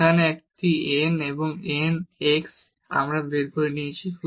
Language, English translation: Bengali, Here a n and x n we have taken out